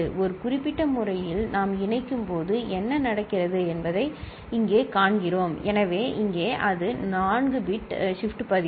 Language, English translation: Tamil, Here we see what happens when we connect in a particular manner; so here that is 4 bit shift register